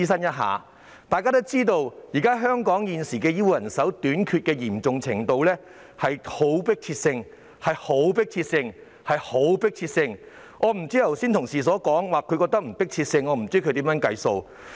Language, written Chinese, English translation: Cantonese, 眾所周知，香港現時醫護人手短缺的嚴重程度是極具迫切性，有同事剛才表示不覺得具迫切性，我不知道他是如何得出的。, As we all know the healthcare manpower shortage is an extremely pressing problem in Hong Kong nowadays . Just now an Honourable colleague said that he did not find any urgency in the issue . I wonder how he came up with this view